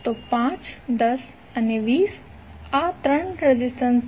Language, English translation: Gujarati, So 5, 10 and 20, so these are the 3 resistances